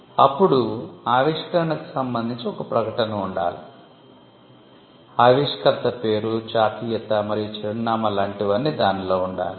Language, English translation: Telugu, Then, there has to be a declaration, with regard to inventor ship, as to who the inventor is; the name, nationality, and address of the inventor